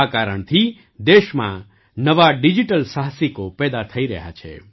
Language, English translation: Gujarati, For this reason, new digital entrepreneurs are rising in the country